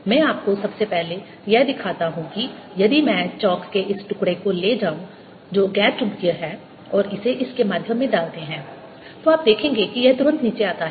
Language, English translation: Hindi, so to show that that really happens, let me first show you that if i take this piece of chalk, which is non magnetic, and put it through this, you will see it comes down immediately